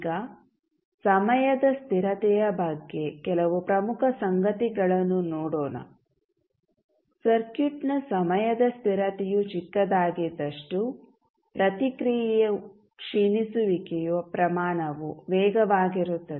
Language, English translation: Kannada, Now, let see some important facts about the time constant, smaller the time constant of the circuit faster would be rate of decay of the response